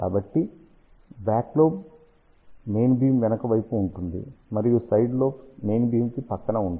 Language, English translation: Telugu, So, back lobe is in the back side of the main beam, and side lobes are along the side of the main beam